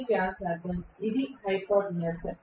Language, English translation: Telugu, This is the radius which is the hypotenuse